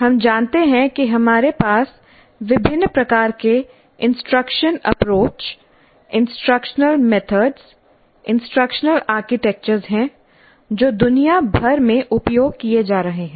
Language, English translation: Hindi, We know that we have a wide variety of instructional approaches, instructional methods, instructional architectures that are being used across the world